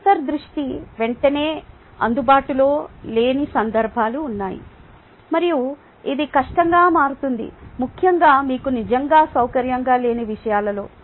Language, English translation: Telugu, there are times when intuition is not immediately available and it becomes difficult, especially in things that you are not really comfortable with